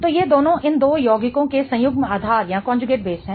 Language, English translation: Hindi, So, both of these are conjugate basis of these two compounds